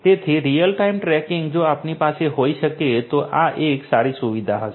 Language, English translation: Gujarati, So, real time tracking if we can have this would be a good feature